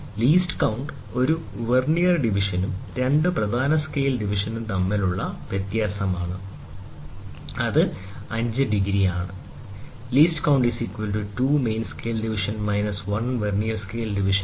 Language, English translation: Malayalam, Therefore, the least count is the difference between one Vernier division and two main scale division, which is 1 12th or 5’